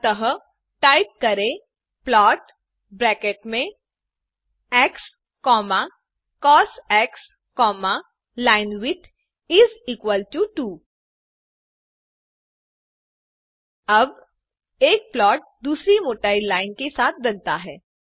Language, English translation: Hindi, So type plot within brackets x,cos,linewidth is equal to 2 Now, a plot with line thickness 2 is produced